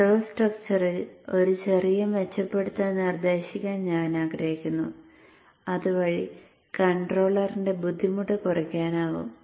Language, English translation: Malayalam, I would like to suggest a small improvement in the control structure so that there is less strain on the controller here